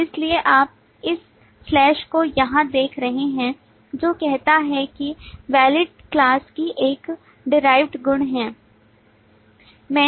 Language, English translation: Hindi, Therefore you can see this slash here which say that Is Valid is a derived property of the class